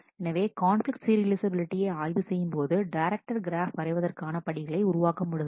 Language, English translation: Tamil, So, to test for conflict serializability; the steps will be build the directed graph